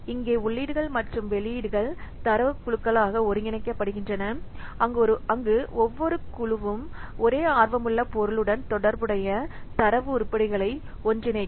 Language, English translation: Tamil, It inputs here the inputs and outputs are aggregated into data groups where each group will bring together data items that relate to the same object of interest